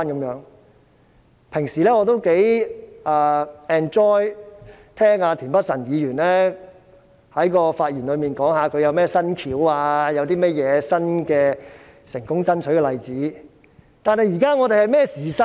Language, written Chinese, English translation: Cantonese, 我平日也頗享受聆聽田北辰議員在其發言中講述他有甚麼新方案或成功爭取的例子，但我們現正處於甚麼時勢呢？, I often enjoy Mr Michael TIENs speech about his new proposals or the success of his endeavour but what is the situation that we are being caught in? . President now LUO Huining is the de facto Secretary of Municipal Committee of Hong Kong